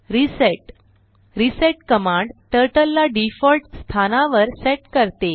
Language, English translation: Marathi, reset reset command sets Turtle to default position